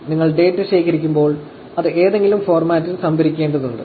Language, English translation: Malayalam, When you collect the data, you have to store it in some format, right